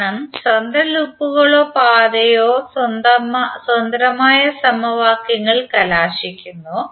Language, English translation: Malayalam, Because independent loops or path result in independent set of equations